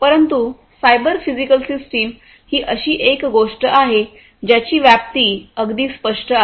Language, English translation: Marathi, But cyber physical systems is something that the scope is very clear